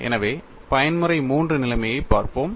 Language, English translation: Tamil, So, let us look at the mode 3 situation